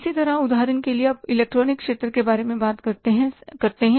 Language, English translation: Hindi, Similarly for example, you talk about the electronic sector